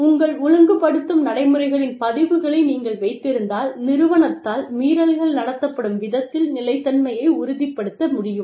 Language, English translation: Tamil, And, if you keep records of your disciplining procedures, you can ensure consistency in the way, violations are treated by the organization